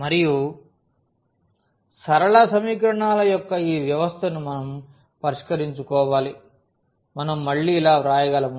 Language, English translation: Telugu, And we have to solve this system of linear equations which we can write down like again we can simplify this little bit